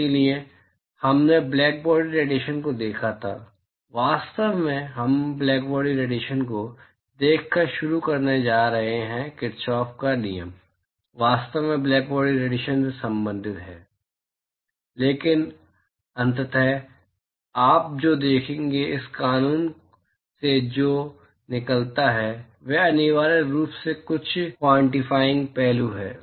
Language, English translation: Hindi, So, we had looked at blackbody radiation, in fact, we are going to start by looking at blackbody radiation Kirchhoff’s law actually relates to blackbody radiation, but eventually what you will see, what comes out of this law is essentially some quantifying aspects of the real surface